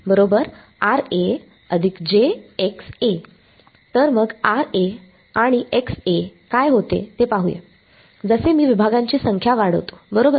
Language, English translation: Marathi, So, let me look at what happens to Ra and Xa as I increase the number of segments right